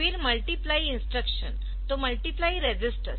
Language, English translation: Hindi, Then the multiply instruction so multiply registers